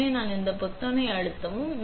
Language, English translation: Tamil, So, we press this button that turns it off